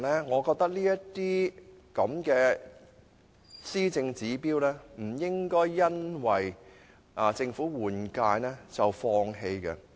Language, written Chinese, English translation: Cantonese, 我認為這些施政目標不應因政府換屆而放棄。, I do not think we should give them up simply because a new Government has been formed